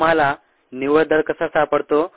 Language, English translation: Marathi, how do you find the net rate